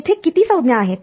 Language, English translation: Marathi, From how many terms are there